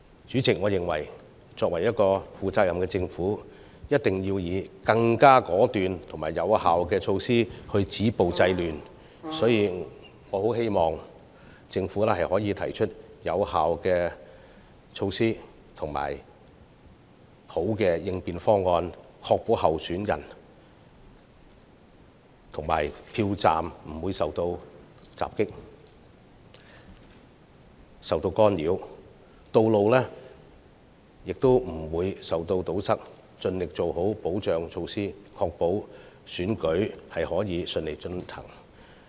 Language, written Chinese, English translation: Cantonese, 主席，我認為，負責任的政府必須以更果斷及有效的措施止暴制亂，所以我希望政府能提出有效措施及更好的應變方案，確保參選人及票站不會受到襲擊和干擾，道路亦不會被堵塞，並盡力做好保障措施，確保選舉能順利進行。, President I think that if the Government is a responsible one it must take more decisive and effective measures for stopping violence and curbing disorder . So I hope that the Government can put forth more effective measures and a better response proposal to avert the risk of attacks on and interference with candidates and polling stations along with road blockade . And I also hope that it can adopt effective safety measures to the best of its ability to ensure the smooth conduct of the election